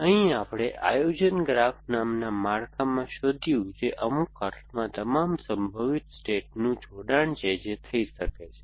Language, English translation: Gujarati, Here, we searched in a structure called a planning graph which is some sense are union of all possible states that can happen essentially